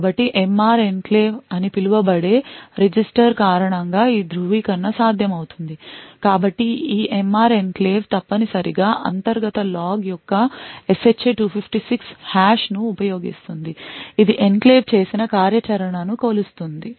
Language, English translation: Telugu, So a lot of this Attestation is possible due to a register known as the MR enclave, so this MR enclave essentially uses a SHA 256 hash of an internal log that measures the activity done by the enclave